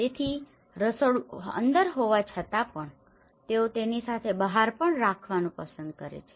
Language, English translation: Gujarati, So, in despite of having a kitchen inside but still, they prefer to have it outside as well